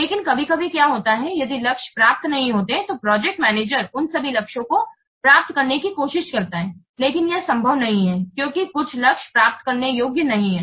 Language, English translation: Hindi, But sometimes what happens if the targets are not achievable, the project manager tries to achieve all those targets, but it's not possible to achieve they are not achievable